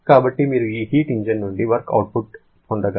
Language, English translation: Telugu, So, the maximum possible output that you can get work output from this heat engine is 0